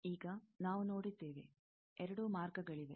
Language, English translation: Kannada, Now, we have seen, there are two paths